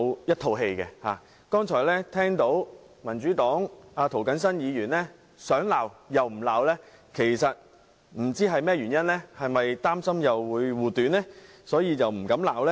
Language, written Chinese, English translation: Cantonese, 我剛才聽到民主黨涂謹申議員想罵又不罵，不知是甚麼原因，是否因為要護短，所以不敢罵呢？, Just now I heard Mr James TO of the Democratic Party restrained himself in making criticisms for some reasons . Was that because he had to shield the fault of some others?